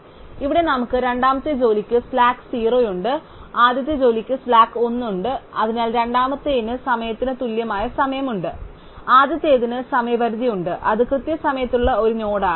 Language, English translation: Malayalam, So, here we have slack 0 for the second job and slack 1 first job, so the second one has the deadline equal to it is time, the first one has the deadline which is one more that its time